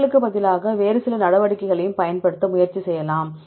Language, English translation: Tamil, Instead of deviation, you can also try to use some other measures